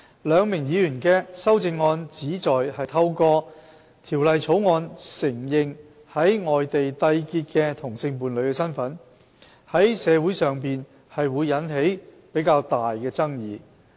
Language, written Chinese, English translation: Cantonese, 兩名議員的修正案旨在透過《條例草案》承認在外地締結的同性伴侶的身份，在社會上會引起比較大的爭議。, The amendments of these two Members seek to recognize same - sex partnerships contracted outside Hong Kong through the Bill which will cause a relatively stronger controversy in society